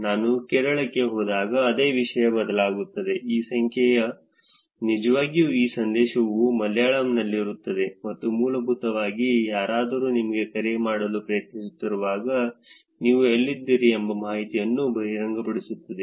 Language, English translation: Kannada, The same thing changes when I go to Kerala, this number is going to be actually this message is going to be in Malayalam, which is basically revealing the information where you are at when somebody is trying to call you